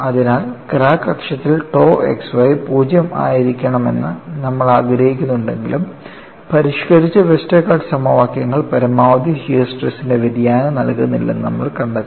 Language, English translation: Malayalam, So, the idea is, though we want tau xy to be 0 along the crack axis, we find that modified Westergaard equations do not provide a variation of maximum shear stress